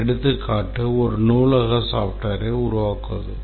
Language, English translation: Tamil, For example, let's say a library software